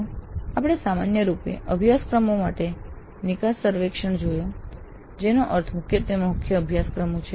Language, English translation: Gujarati, So, we looked at the exit surveys for courses in general which means predominantly core courses